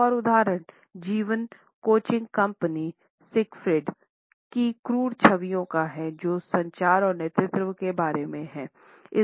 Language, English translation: Hindi, Another example is of the brunt images of a life coaching company Siegfried which is about communication and leadership